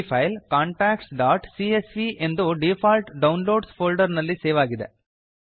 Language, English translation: Kannada, The file is saved as contacts.csv in the default Downloads folder